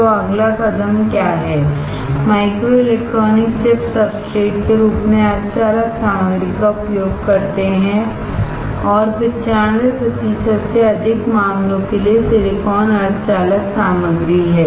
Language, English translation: Hindi, So, what is next step, microelectronic chips use semiconductor material as substrate and for more than 95 percent cases silicon is the semiconductor material